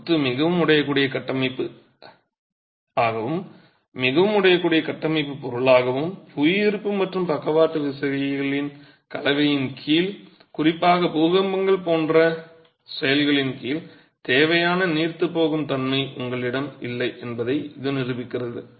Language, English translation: Tamil, This demonstrates that masonry behaves as a very brittle structural system as a very brittle structural material and under the combination of gravity and lateral forces you do not have the necessary ductility particularly under actions like earthquakes